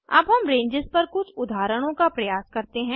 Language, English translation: Hindi, Let us try out some examples on ranges